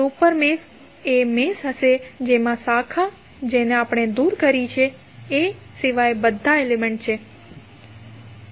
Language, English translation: Gujarati, Super mesh would be the mesh having all the elements except the branch which we have removed